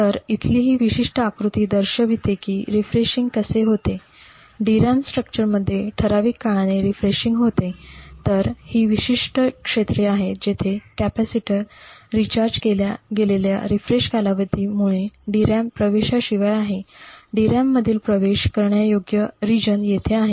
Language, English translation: Marathi, So this particular figure over here shows how the refreshing occurs, so refreshing typically occurs periodically in a DRAM structure, so these particular areas is where the DRAM is inaccessible due to the refreshing period where the capacitors are recharged, while the accessible regions in the DRAM is over here